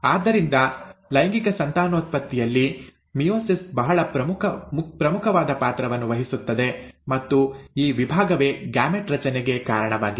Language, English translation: Kannada, So meiosis plays a very important role in sexual reproduction and it is this division which is responsible for gamete formation